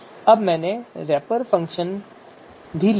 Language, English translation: Hindi, Now I have written wrapper function